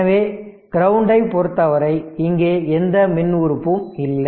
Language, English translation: Tamil, So, with respect to the ground; so, this is there is no electrical element